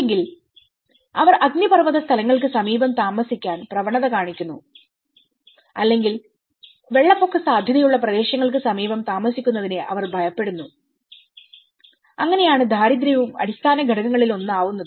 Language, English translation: Malayalam, Or they tend to stay near volcanic places or they tend to fear live near the flood prone areas, so that is how the poverty is also one of the underlying factor